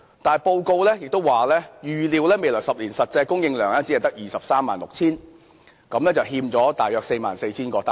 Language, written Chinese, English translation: Cantonese, 但報告指出，預料未來10年的公營房屋實際供應量只得 236,000 個，欠了大約 44,000 個單位。, Nonetheless as highlighted in the report it is envisaged that only 236 000 public housing units will actually be produced in the coming 10 years with a shortage of some 44 000 units